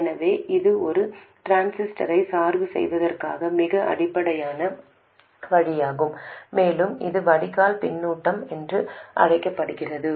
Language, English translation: Tamil, So, this is the most basic way of biasing a transistor and this is known as Drain Feedback